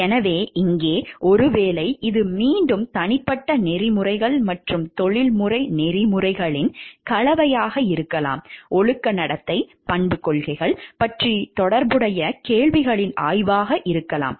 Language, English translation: Tamil, So, here may be you it is a blend of again a personal ethics and professional ethics, the study of related questions about moral conduct, character policies